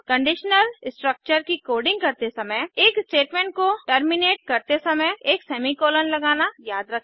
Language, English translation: Hindi, While coding conditional structures: * Always remember to add a semicolon while terminating a statement